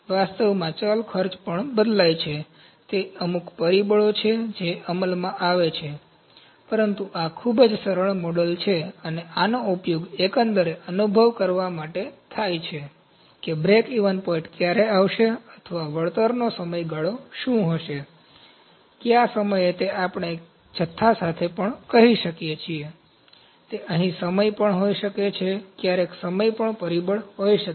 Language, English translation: Gujarati, In reality the variable cost also varies, they are certain factors those comes into play, but this is the very simplified model, and this is still used to have the overall feel that, when would the breakeven point come or what would the payback period, at what time we can also say with quantity, it can also be time here, sometimes time can also be factor